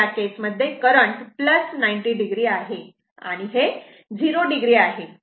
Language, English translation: Marathi, So, in this case, current is plus 90 degree and this is 0 degree